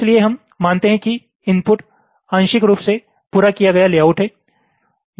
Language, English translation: Hindi, ok, so we assume that the input is a partially completed layout